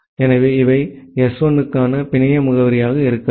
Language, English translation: Tamil, So, these can be the network address for S1